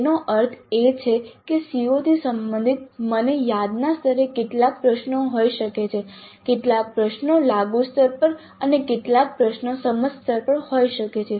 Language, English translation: Gujarati, That means related to that COO I can have some questions at remember level, some questions at apply level and some questions at the understand level also